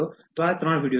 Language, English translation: Gujarati, So, watch these three videos